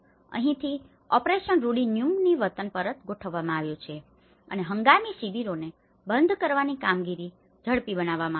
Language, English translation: Gujarati, So, this is where the operation rudi nyumbani return home has been set up and it has been accelerated to close the temporary camps